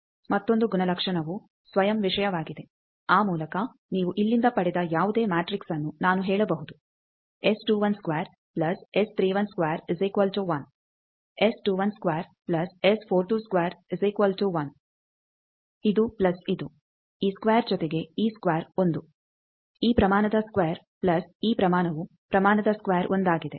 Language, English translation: Kannada, Now another property is self thing, by that you can whatever matrix you got from here I can say S 21 square plus S 31 square is equal to 1, S 21 square plus S 42 square magnitude is equal to 1 this plus this, this square plus this square 1, this magnitude square plus this magnitude is magnitude square 1